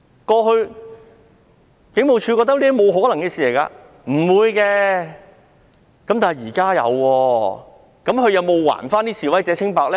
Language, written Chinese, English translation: Cantonese, 過去警務處覺得這是沒可能發生的，但現在發生了，他們有否還示威者清白呢？, HKPF used to think this is impossible but it has actually happened now . Have they cleared of name of the demonstrators?